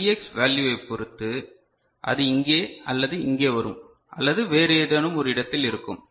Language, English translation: Tamil, And depending on this Vx value so, it will come here or here or you know in some other place